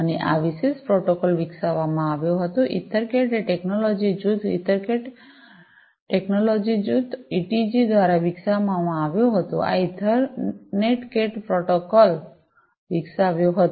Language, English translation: Gujarati, And, this was developed this particular protocol, EtherCAT was developed by the technology group EtherCat, EtherCAT technology group, ETG, this developed this Ethernet CAT protocol